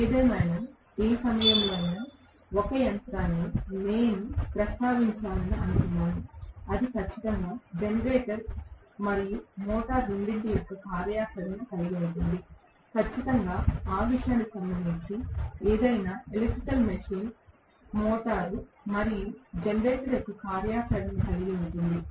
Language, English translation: Telugu, But nevertheless at least I thought I should make a passing mention at what point a machine, which is definitely it is going to have functionality of both generator and motor, definitely any electrical machine for that matter will have the functionality of a motor as well as generator